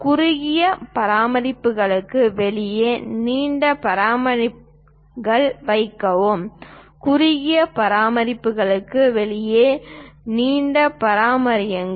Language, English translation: Tamil, Place longer dimensions outside the shorter ones; longer dimensions outside the shorter ones